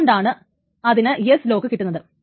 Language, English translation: Malayalam, Then there is an S lock